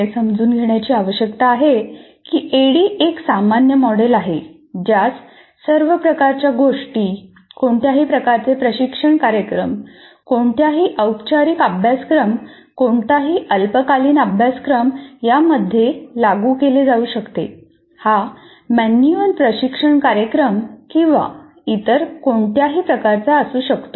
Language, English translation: Marathi, So what needs to be understood is the ADD is such a generic model, it is applied to all types of things, any type of training program, any formal course, any short term course, it could be manual training program or on any subject, short term, long term, anything it can be applied